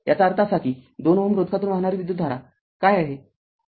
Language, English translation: Marathi, That means what is the current through 2 ohm resistance